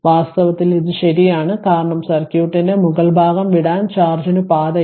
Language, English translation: Malayalam, In fact, this is true because there is no path for charge to leave the upper part of the circuit right